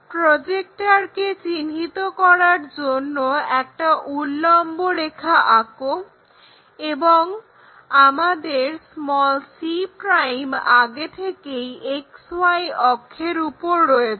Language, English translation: Bengali, And draw a vertical line to locate this projector this is the projector, and our c' is already on X axis, XY axis so c'